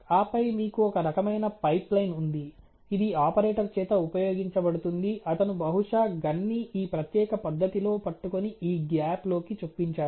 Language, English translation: Telugu, And then you know you have some kind of a pipe line which is used by the operator who probably holds the, you know gun in this particular manner ok and inserts the gun into this gap right here ok